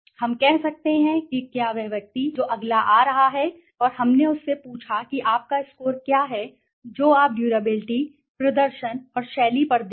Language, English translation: Hindi, We can say if the person who is coming next, and we asked him what is your score that you will give on durability, performance and style